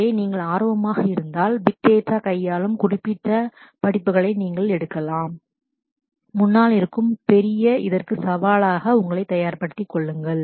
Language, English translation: Tamil, So, if you are interested, you can take specific courses which deal with the big data and prepare yourself for the bigger challenges ahead